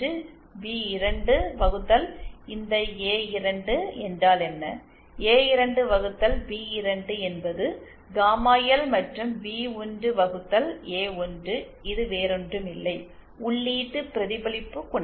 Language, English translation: Tamil, What is this A2 upon B2, A2 upon B2 is nothing but gamma L and B1 upon A1 is nothing but the input reflection coefficient